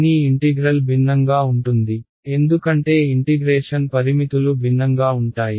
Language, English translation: Telugu, But the integral will be different because limits of integration are different